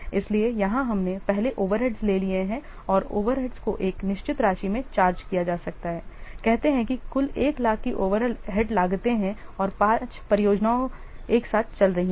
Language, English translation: Hindi, So here we have taken first the overrides and the over rates may be charged in a fixed amount, say there are total overhead cost is suppose, say, 1 lakh and there are five projects are running simultaneously